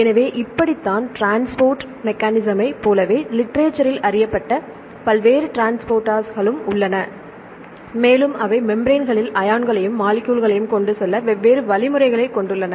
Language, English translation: Tamil, So, this is how the; do the transport mechanism likewise there are various transporters which are known in the literature and they have different mechanisms to transport ions and the molecules across the membranes